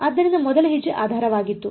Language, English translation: Kannada, So, first step was basis